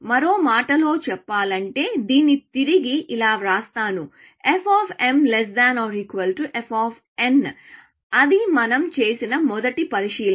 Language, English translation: Telugu, In other words, f of m is equal to f of n; that is a first observation we make